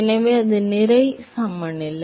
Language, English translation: Tamil, So, that is the mass balance